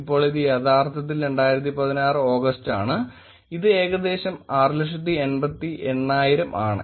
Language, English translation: Malayalam, And now it is actually August 2016 it is about 688,000